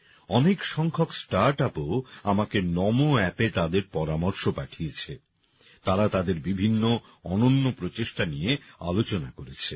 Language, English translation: Bengali, A large number of Startups have also sent me their suggestions on NaMo App; they have discussed many of their unique efforts